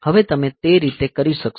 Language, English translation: Gujarati, Now, how do you do that